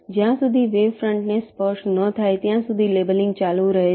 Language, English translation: Gujarati, labeling continues until the till the wavefronts touch